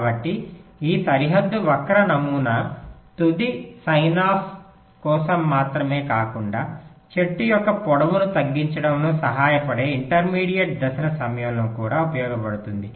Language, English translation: Telugu, so this bounded skew model helps us not only for the final signoff but also during intermediate steps that can help in reducing the length of the tree